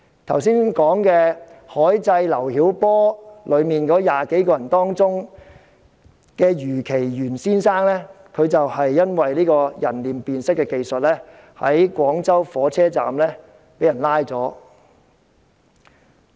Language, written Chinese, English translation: Cantonese, 在剛才所說"海祭劉曉波"的20多人中，余其元先生便正因為人臉辨識技術在廣州火車站被捕。, Mr YU Qiyan one of those 20 - odd participants of the seaside memorial of LIU Xiaobo we talked about just now has been so arrested with the help of the facial recognition technology at the Guangzhou Railway Station